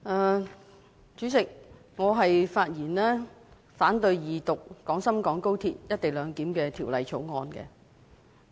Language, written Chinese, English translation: Cantonese, 代理主席，我發言反對恢復二讀《廣深港高鐵條例草案》。, Deputy President I rise to speak against the resumed Second Reading of the Guangzhou - Shenzhen - Hong Kong Express Rail Link Co - location Bill the Bill